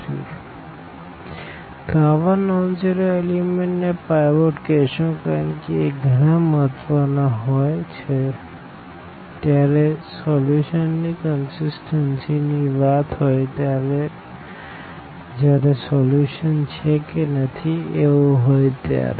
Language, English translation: Gujarati, So, these such elements the such non zero elements will be called pivot because they play a very important role now discussing about the about the consistency of the solution about the existence non existence of the solution